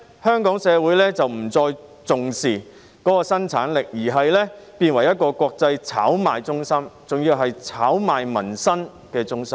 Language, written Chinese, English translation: Cantonese, 香港社會漸漸不再重視生產力，香港變成一個國際炒賣中心，還要是炒賣民生的中心。, Gradually Hong Kong does not care about productivity anymore and Hong Kong becomes an international speculative centre a centre of speculation even in peoples livelihood